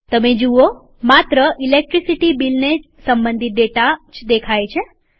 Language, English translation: Gujarati, You see that only the data related to Electricity Bill is displayed in the sheet